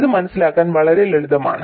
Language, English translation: Malayalam, This is quite simple to understand